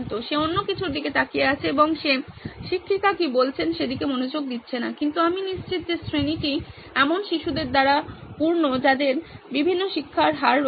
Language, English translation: Bengali, He is looking at something else and he is not paying attention to what the teacher is saying but I am sure the class is filled with people who have different learning rates